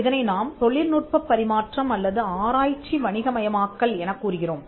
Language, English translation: Tamil, So, we call it transfer of technology or commercialization of research